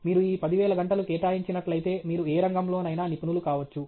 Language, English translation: Telugu, If you put in these 10,000 hours, you can be a master in any field okay